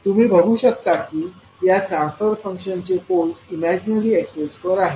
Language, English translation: Marathi, So you will see that poles of this particular transfer functions are lying at the imaginary axis